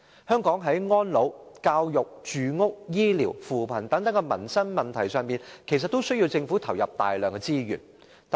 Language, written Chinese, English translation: Cantonese, 香港在安老、教育、住屋、醫療和扶貧等民生問題上其實均需要政府投入大量資源。, In Hong Kong livelihood issues including elderly care education housing health care and poverty alleviation are actually in need of substantial resources from the Government